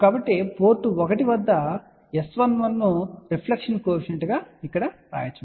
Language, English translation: Telugu, So, we can write here S 11 as reflection coefficient at port 1